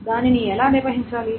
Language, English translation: Telugu, So how to handle that